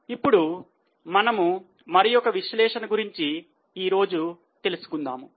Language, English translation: Telugu, Now let us go to one more analysis in today's session